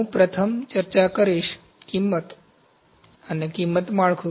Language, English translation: Gujarati, So, first I will discuss, cost and price structure